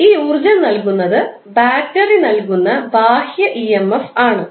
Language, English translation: Malayalam, This energy is supplied by the supplied through the external emf that is provided by the battery